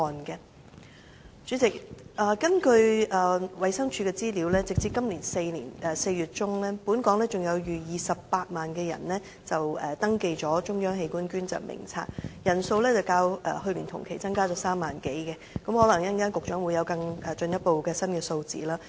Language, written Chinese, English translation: Cantonese, 代理主席，根據衞生署的資料，截止今年4月中，本港有逾28萬人登記了"中央器官捐贈登記名冊"，人數較去年同期增加3萬多人，可能局長稍後有進一步的新數字。, Deputy President according to the information from the Department of Health as at this mid - April over 280 000 people have registered at the Centralized Organ Donation Register representing an additional 30 000 - odd sign - ups as compared with the same time last year . Perhaps the Secretary will later tell us the latest number